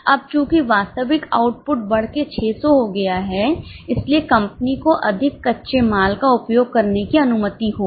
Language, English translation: Hindi, Now since the actual output has increased to 600 company will be permitted to use more raw material